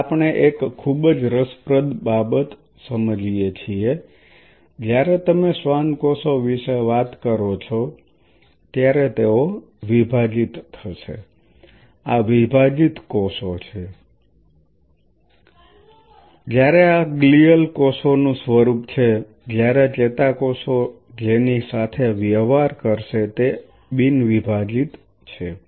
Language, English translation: Gujarati, Now we realize a very interesting thing that when you talk about the Schwann cells they will be dividing these are dividing cells whereas, this is form of glial cells whereas, neurons what will be dealing with are non dividing